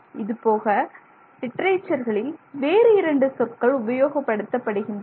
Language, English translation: Tamil, But you will also often find in the literature two other terms that are used